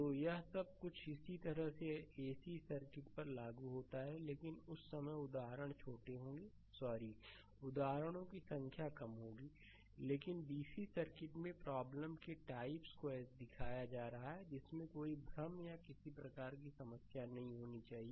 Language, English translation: Hindi, So, all this things similarly applicable to ac circuits, but at that time examples will be small ah sorry exams number of examples will be less ah, but in dc circuit varieties of problem I am showing such that you should not have any confusion or any any sort of problem